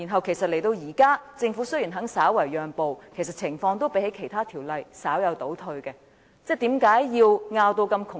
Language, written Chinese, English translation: Cantonese, 現時雖然政府願意稍為讓步，但與其他條例相比，情況其實也稍有倒退。, Although the Government is willing to make a small concession the provisions actually still represent a slight regression compared with other ordinances